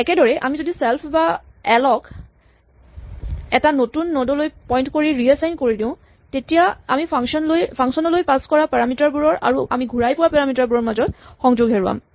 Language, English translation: Assamese, So same way if we reassign l or self to point to a new node then we will lose the connection between the parameter we passed to the function and the parameter we get back